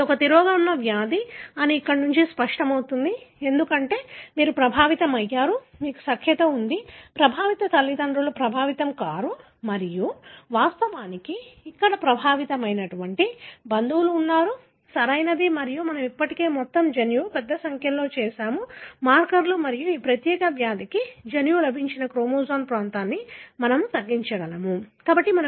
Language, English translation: Telugu, It is clear from here that is a recessive disease, because you have an affected, you have consanguinity, affected parents are not affected and of course, there are relatives who are affected here, right and we have already done the whole genome, large number of markers and we are able to narrow down a region of a chromosome which has got a gene for this particular disease, right